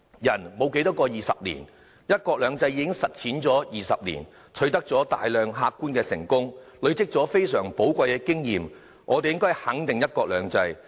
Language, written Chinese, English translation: Cantonese, 人生沒有多少個20年，"一國兩制"已實踐了20年，取得大量客觀的成功，累積了非常寶貴的經驗，我們應該肯定"一國兩制"。, As one country two systems has been implemented for two decades quite a number of empirical successes have been achieved and valuable experience has been accumulated we should affirm one country two systems